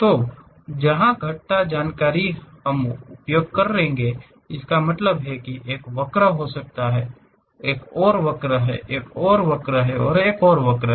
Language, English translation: Hindi, So, where parametric information about curves we will use; that means, there might be a curve, there is another curve, there is another curve, there is another curve